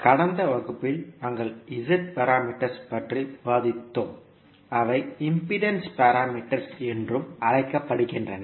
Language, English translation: Tamil, Namaskar, so in the last class we were discussing about the Z parameters that is also called as impedance parameters